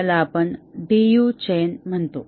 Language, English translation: Marathi, This we call it as a DU chain